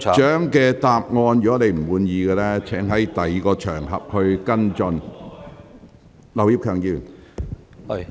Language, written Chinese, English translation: Cantonese, 梁議員，如果你不滿意局長的答覆，請在其他場合跟進。, Mr LEUNG if you are dissatisfied with the Secretarys reply please follow up the matter on other occasions